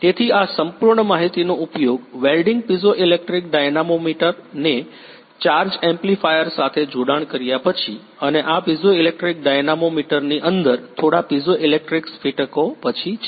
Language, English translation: Gujarati, So, this whole data can be used after welding piezoelectric dynamometer has been connected with a charge amplifier and this inside the piezoelectric dynamometer few piezoelectric crystals are there